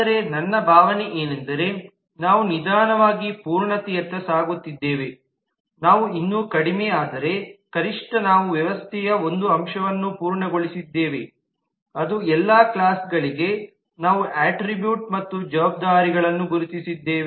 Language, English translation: Kannada, but my feeling was that we are slowly inching towards completeness we are still low, but at least we have completed one aspect of the system that for all classes we have identified the attributes and the responsibility